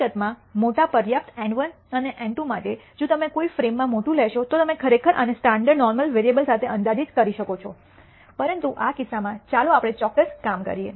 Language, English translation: Gujarati, In fact, for large enough N 1 and N 2, if you take large in a frame, you can actually approximate this with a standard normal variable , but in this case let us let us do a precise job